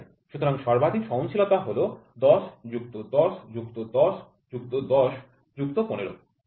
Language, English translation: Bengali, So, the maximum tolerance is 10 plus 10 plus 10 plus 10 plus 15, ok